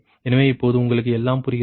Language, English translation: Tamil, so everything is understandable to you now